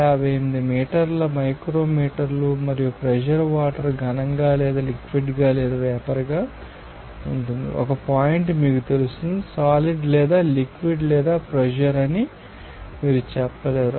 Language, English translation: Telugu, 58 millimeter micrometer at this temperature and pressure this water will be either solid or liquid or vapour there will be you know that 1 point that you cannot say that will be solid or liquid or vapour